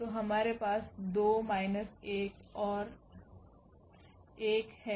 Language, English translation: Hindi, So, we have 2 minus 1 and 1